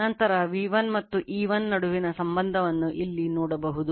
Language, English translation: Kannada, Later we will see the relationship between V1 and E1 similarly here